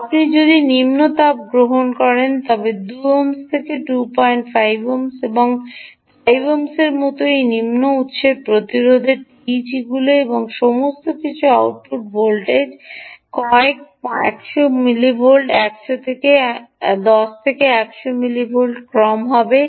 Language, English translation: Bengali, whereas if you take the lower heat, this lower source resistance tegs like to ohms two point, five ohms, five ohms and all that, the output voltage will be in the order of a few hundreds of millivolts, tens and hundreds of millivolts